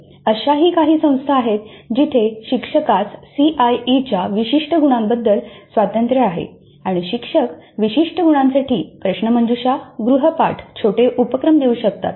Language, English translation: Marathi, There are also institutes where the teacher has freedom with respect to certain marks of the CIE and the teacher can administer quizzes, assignments, mini projects for certain marks